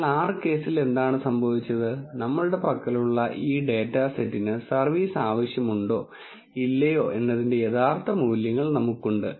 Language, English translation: Malayalam, But in R case what happened is, we already have the true values whether service is needed or not for this data set what we have